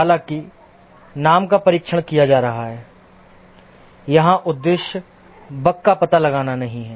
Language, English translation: Hindi, Even though name is testing, here the objective is not to detect bugs